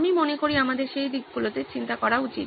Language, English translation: Bengali, I think we should think in those directions